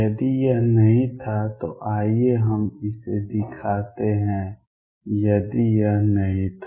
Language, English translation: Hindi, If it was not, So let us show this if it was not